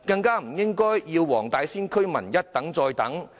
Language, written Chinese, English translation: Cantonese, 不應要黃大仙區居民一等再等。, The residents of Wong Tai Sin should not be made to wait again and again